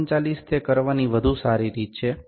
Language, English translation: Gujarati, 39 better way to do it is